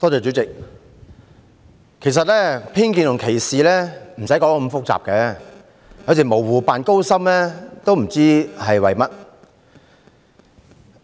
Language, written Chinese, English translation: Cantonese, 主席，其實偏見及歧視無需講得太複雜，有時候模糊不清卻故作高深，也不明白是為甚麼。, President in fact one needs not talk about prejudice and discrimination in such a complicated way . Sometimes I just do not understand why people would feign profundity with ambiguity